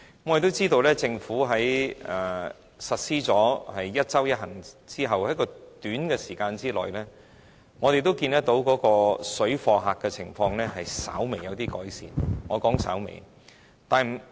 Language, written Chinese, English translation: Cantonese, 我們亦知道，政府在實施"一周一行"後，在短時間內已看到水貨客的情況稍微有改善——是稍微。, We understand that shortly after the implementation of the one trip per week measure by the Government there was slight improvement―just slight improvement―in the situation of parallel traders